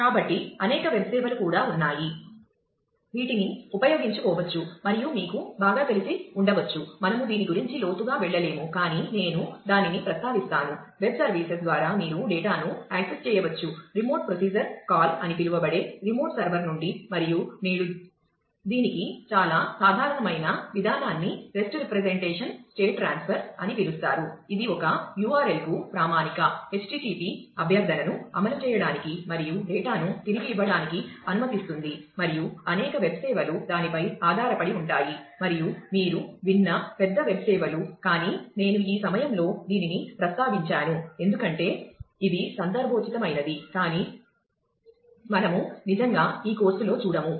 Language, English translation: Telugu, So, there are also several web services, that can be used and a you may be getting familiar with that, we will not go deep into this, but I will just mention that, web services a mechanism through which, you can access a data from remote server using what is known as a remote procedure call, and today very common approach for this is called rest representation state transfer, which allow standard HTTP request to a URL to execute a request and return data, and a several of the web services are based on that, and are the are big web services which you must have heard of, but I just mentioned it at this point because it is contextual, but we will not get into those in this course really